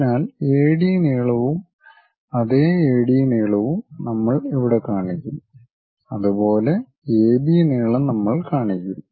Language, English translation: Malayalam, So, we locate whatever the AD length here same AD length here we will locate it; similarly, AB length AB length we will locate